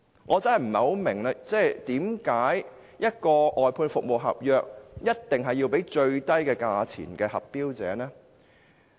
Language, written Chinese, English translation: Cantonese, 我真的不明白，為何外判服務合約一定要批給價格最低的投標者呢？, I really do not understand why an outsourced service contract must be awarded to the lowest bid